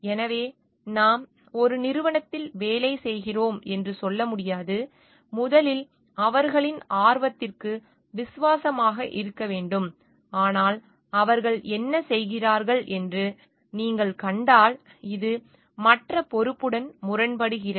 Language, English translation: Tamil, So, we just cannot tell like we are working for a company and we have to be loyal to their interest first, but if you find like what they are doing is coming in conflict with this other responsibility that we have